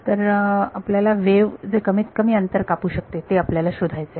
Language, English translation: Marathi, So, we have to find out the shortest distance that wave could take